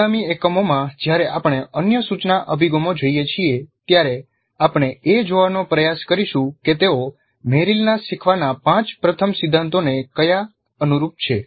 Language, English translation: Gujarati, And in the next unit we will look at an instructional design based on Merrill's 5 first principles of learning